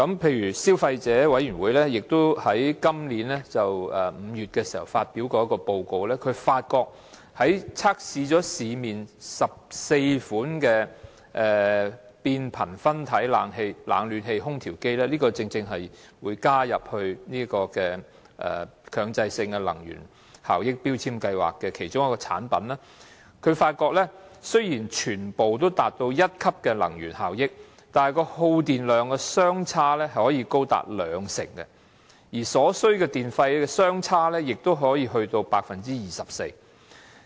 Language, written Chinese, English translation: Cantonese, 例如消費者委員會在今年5月發表了一份報告，測試市面14款變頻分體冷暖氣空調機——正正是今次將會加入強制性標籤計劃的其中一項產品——發現雖然全部達到同一級能源效益，但耗電量可以相差高達兩成，而所需電費也可以相差達到 24%。, For example in May this year the Consumer Council published a report of a test of 14 models of the split - type inverter air conditioners with both cooling and heating capacities―one type of products to be included in MEELS in this exercise . It was found that although all the models obtained the same grade of energy efficiency the electricity consumption among them differed by as much as 20 % and the electricity charges also differed by up to 24 %